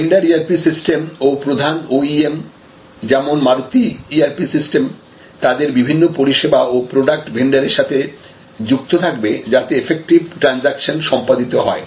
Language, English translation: Bengali, So, the vender ERP system and the main OEM say Maruti ERP system will be locked in with the ERP system of their different service and product venders and that will allow much more effective transaction